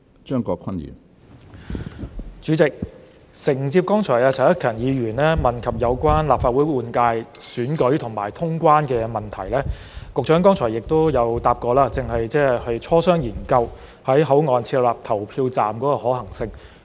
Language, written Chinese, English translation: Cantonese, 主席，承接剛才陳克勤議員問及有關立法會換屆選舉和通關的問題，局長剛才回答過，正在磋商、研究在口岸設立投票站的可行性。, President in response to Mr CHAN Hak - kans question concerning the Legislative Council General Election and traveller clearance the Secretary has replied earlier that the feasibility of setting up polling stations at border control points are being discussed and examined